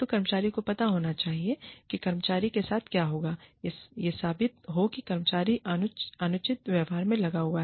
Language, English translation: Hindi, So, the employee should know, what will be done to the employee, if it is proven that the, employee engaged in, unreasonable behavior